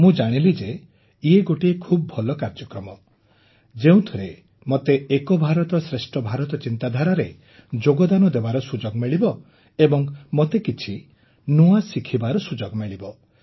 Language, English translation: Odia, I again searched a little on the internet, and I came to know that this is a very good program, which could enable one to contribute a lot in the vision of Ek Bharat Shreshtha Bharat and I will get a chance to learn something new